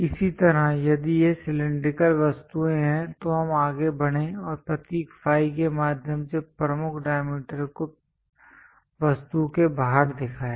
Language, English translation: Hindi, Similarly, if these are cylindrical objects, we went ahead and showed the major diameters outside of the object through the symbol phi